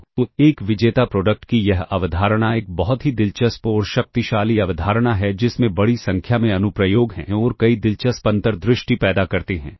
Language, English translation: Hindi, So, this concept of a inner product is a very interesting and powerful concept which has a large number of applications and yields several interesting insights ah